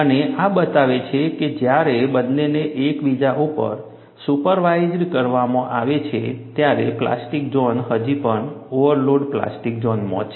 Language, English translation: Gujarati, And this shows, when both are superimposed one over the other, the plastic zone is still within the overload plastic zone